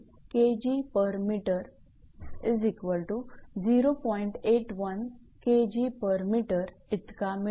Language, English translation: Marathi, 81 kg per meter